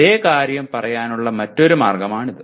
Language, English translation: Malayalam, That is another way of saying the same thing